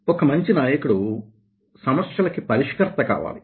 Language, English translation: Telugu, so a good leader must have this kind of is a problem solver